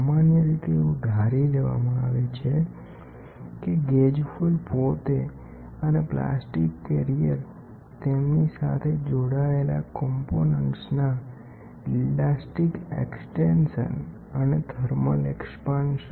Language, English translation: Gujarati, It is normally assumed at the gauge foil itself the plastic carrier are so thin compared with the component to which they are a bonded that it has the same elastic extension and the same actual thermal expansion or contraction